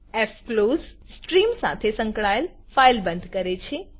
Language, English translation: Gujarati, fclose closes the file associated with the stream